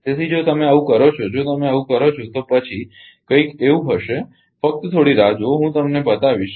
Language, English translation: Gujarati, So, if you do so, if you do so, then it will be something like this just hold down I will show you